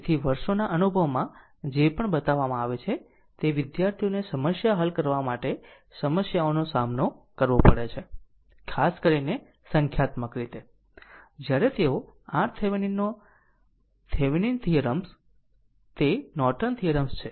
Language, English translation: Gujarati, So, whatever over the years my experience shows, that students they face problem for solving problem your numerical particularly, when they go for Thevenin’s theorem are Norton theorem